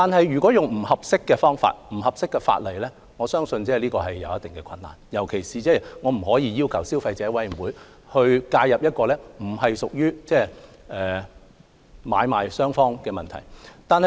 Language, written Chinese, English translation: Cantonese, 如果以不合適的方法和法例作支援，我相信便難以實行，特別是我們不可能要求消委會介入一個不屬於買賣雙方問題的個案。, However I believe it would be difficult to give support by taking inappropriate approaches or invoking unsuitable legislation . In particular we cannot possibly ask CC to interfere in cases not related to the conflicts between buyers and sellers